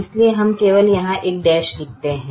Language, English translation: Hindi, therefore we write only a dash